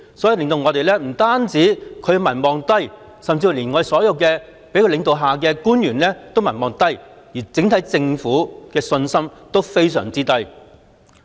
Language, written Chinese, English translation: Cantonese, 不單她的民望低，甚至所有在她領導下的官員的民望亦低，對整個政府的信心也非常低。, Apart from her low popularity even the popularity of the officials under her leadership is low as well whereas people also have very low confidence in the entire Government